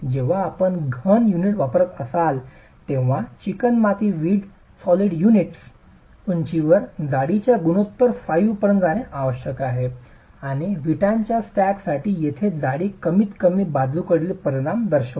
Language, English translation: Marathi, Recommendation when you are using solid units, clay brick solid units is to go with a height to thickness ratio of 5 and this thickness here for the stack of bricks refers to the least lateral dimension